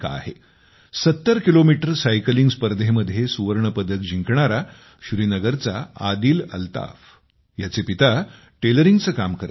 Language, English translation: Marathi, Father of Adil Altaf from Srinagar, who won the gold in 70 km cycling, does tailoring work, but, has left no stone unturned to fulfill his son's dreams